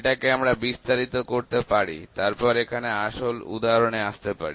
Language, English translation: Bengali, So, we can detail it further then we will come through actual examples here